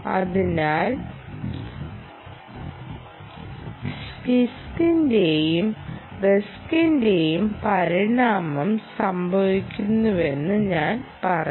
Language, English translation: Malayalam, so i would say evolution of both cisc and risc is happening